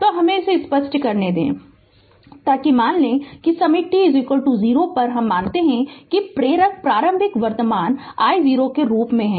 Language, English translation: Hindi, So, let me clear it so you assume that at time t is equal to 0 we assume that the inductor as an initial current I 0 right